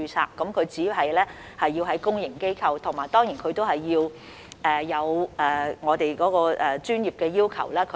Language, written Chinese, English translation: Cantonese, 有關醫生只需要在公營醫療機構工作，並且達到我們的專業要求。, The doctors concerned are only required to work in the public sector and meet our professional requirements